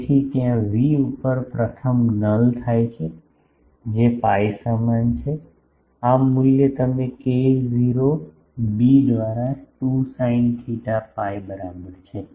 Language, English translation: Gujarati, So, there the first null occur at v is equal pi, this value you put k not b by 2 sin theta is equal to pi